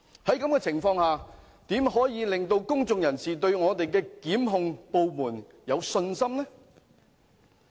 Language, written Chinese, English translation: Cantonese, 在這種情況下，如何令公眾人士對我們的檢控部門有信心呢？, In that case how can we command public confidence in our prosecutions department?